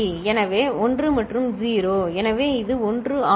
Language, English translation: Tamil, So, 1 and 0, so this is 1